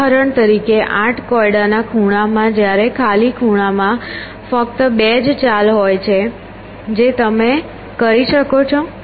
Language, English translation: Gujarati, For example, in the eight puzzles corner when the blank in the corner there are only two moves that you can do